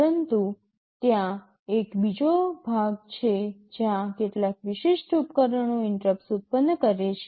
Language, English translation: Gujarati, But there is another section where some specific devices are generating interrupts